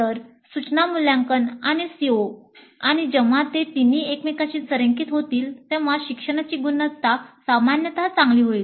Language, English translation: Marathi, So instruction, assessment and COs and when all these three are aligned to each other the quality of learning will be generally better